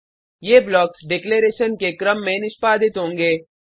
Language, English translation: Hindi, These blocks will get executed in the order of declaration